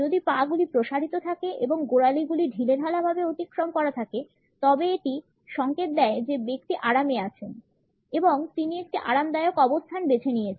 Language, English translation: Bengali, If the legs are outstretched and the ankles are loosely crossed, it usually signals that the person is at ease and his opted for a comfortable position